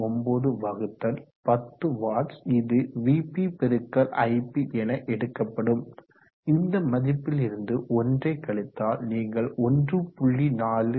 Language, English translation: Tamil, 39 we said 10 watts if you take for vp*ip and if we could that value 1 you will get 1